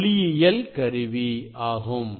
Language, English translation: Tamil, this is the optics axis